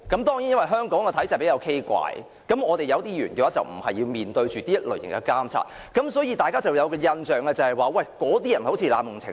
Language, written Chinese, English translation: Cantonese, 當然，在香港的畸形體制下，有些議員無須面對選民的監察，所以大家便有一種印象，那些議員似乎濫用程序。, Of course people may have the impression that some Members seemed to have abused the procedure as those Members are not subject to scrutiny by voters under the abnormal system in Hong Kong